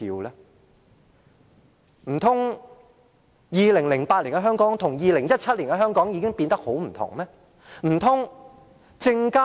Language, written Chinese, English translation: Cantonese, 難道2008年的香港與2017年的香港有很大分別？, Was the situation of Hong Kong in 2008 very much different from that in 2017?